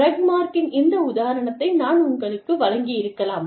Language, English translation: Tamil, I may have given you this example, of Rugmark